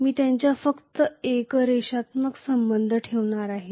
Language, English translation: Marathi, I am going to have only a linear relationship between them